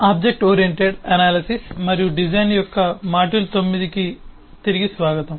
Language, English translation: Telugu, welcome back to module 9 of object oriented analysis and design